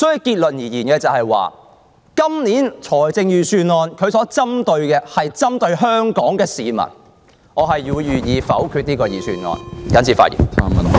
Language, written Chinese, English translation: Cantonese, 結論而言，本年預算案所針對的是香港市民，我會否決這份預算案，謹此發言。, In conclusion this years Budget targets against the people of Hong Kong and I will veto it . I so submit